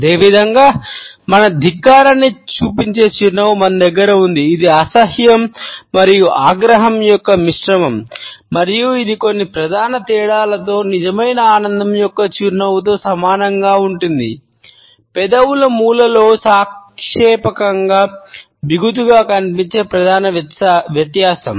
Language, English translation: Telugu, Similarly, we have a smile which shows our contempt, it is a mixture of disgust and resentment and it is very similar to a smile of true delight with some major differences, with a major difference that the corner of lips appear relatively tightened